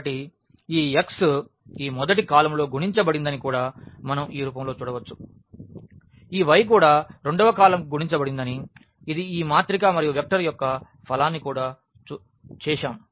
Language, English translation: Telugu, So, we can also look into in this form that this x is multiplied to this first column, y is multiplied to this second column that is a way we also do the product of this matrix and the vector